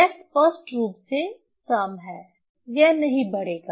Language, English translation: Hindi, So, obviously you will not increase